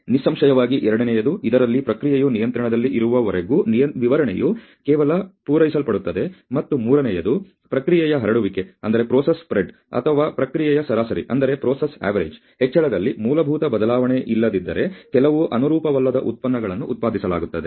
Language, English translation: Kannada, Obviously, second is a one in which the specification is just barely met as long as the process stays in control, and the third is one in which some non conforming products are produced unless there is a fundamental change in the process spread or increase in the process average